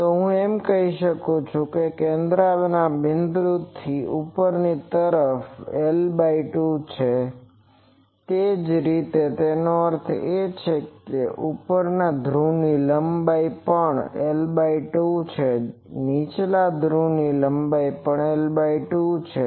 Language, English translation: Gujarati, So, I can say that from the central point to the top this is l by 2, similarly so that means, this length of the top pole that is l by 2, the length of the bottom pole that is also l by 2